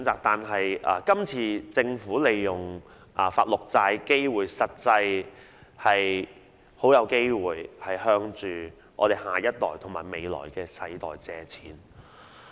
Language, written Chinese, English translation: Cantonese, 但今次政府發行綠色債券，實際上很有機會向下一代和未來的世代借款。, But in fact in issuing green bonds this time around the Government is most likely to borrow from the next generation and the generations to come